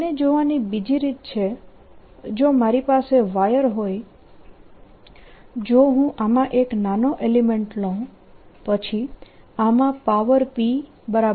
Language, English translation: Gujarati, another way to look at it is: if i have a wire and if i take a very small element in this, then the power in this is going to be v times i